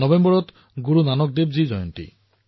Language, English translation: Assamese, It is also the birth anniversary of Guru Nanak Dev Ji in November